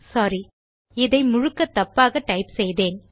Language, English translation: Tamil, Sorry I have typed this completely wrong